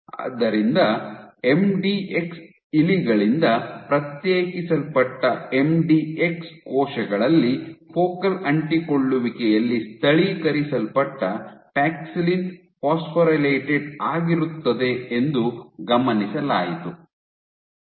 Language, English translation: Kannada, So, what was observed was in MDX cells in cells isolated from MDX mice paxillin localized at focal adhesion was phosphorylated